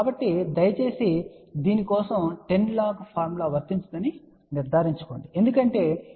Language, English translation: Telugu, So, please ensure that don't apply 10 log formula for this because 10 log of 0